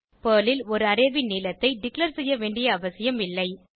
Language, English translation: Tamil, In Perl, it is not necessary to declare the length of an array